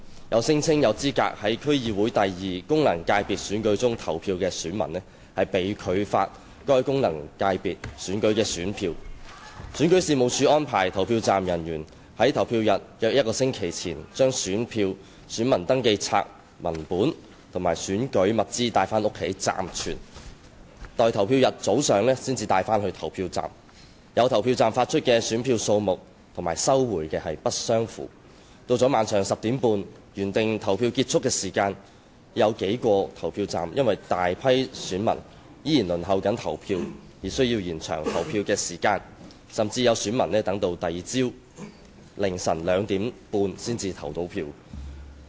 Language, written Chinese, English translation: Cantonese, 有聲稱有資格在區議會功能界別選舉中投票的選民被拒發該功能界別選舉的選票；選舉事務處安排投票站人員在投票日約一星期前將選票、選民登記冊文本及選舉物資帶回家暫存，待投票日早上才帶往投票站；有投票站發出選票的數目與收回的不相符；到了晚上10時半的原定投票結束時間，有數個投票站因有大批選民仍在輪候投票而需延長投票時間，甚至有選民等到翌日凌晨二時半才能投票。, Quite a number of the arrangements for the Legislative Council LegCo General Election just held have attracted various criticisms . Some electors who claimed that they were eligible to vote in the District Council Second Functional Constituency DC Second FC election were refused to be issued with the ballot papers for that FC election; the Registration and Electoral Office arranged polling staff to take home ballot papers copies of register of electors and electoral materials about one week before the polling day for temporary custody and bring them to the polling stations on the morning of the polling day; at some polling stations the numbers of ballot papers issued and collected did not tally with each other; the polling hours of several polling stations had to be extended because a large number of electors were still queuing to cast their votes there at the scheduled polling end time of 10col30 pm and some electors even had to wait until 2col30 am on the following day before they could vote